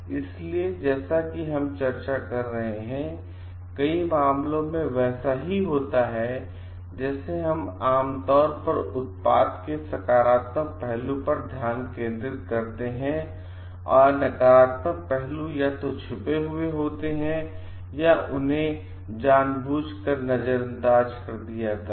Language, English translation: Hindi, So, what we happen as we are discussing is, very like we are generally focused towards highlighting on the positive aspect of the product, and in many cases the negative aspects are either hidden or played down